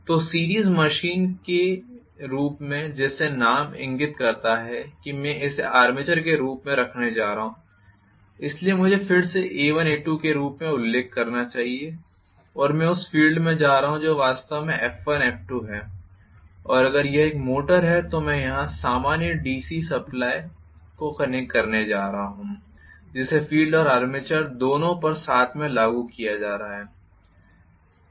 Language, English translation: Hindi, So, in the series machine as the name indicates I am going to have this as the armature, so let me again mention this as A1, A2 and I am going to have the field which is actually F1, F2 and if it is a motor I am going to connect the common DC supply here which is being applied to both the field and armature together